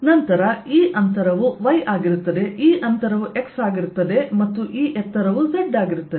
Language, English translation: Kannada, so this distance will be y, this distance will be x and this height will be z